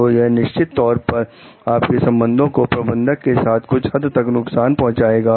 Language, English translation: Hindi, So, this is definitely going to damage your relationship to certain extent with your manager